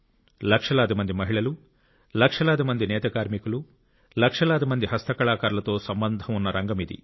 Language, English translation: Telugu, This is a sector that comprises lakhs of women, weavers and craftsmen